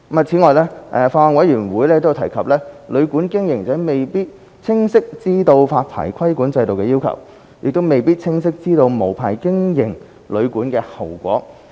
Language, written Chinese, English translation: Cantonese, 此外，法案委員會有提及，旅館經營者未必清晰知道發牌規管制度的要求，亦未必清晰知道無牌經營旅館的後果。, Besides the Bills Committee has mentioned that operators of hotels and guesthouses may not have a clear idea of the regulatory requirements under the licensing regime or clearly know the consequences of operating unlicensed hotels and guesthouses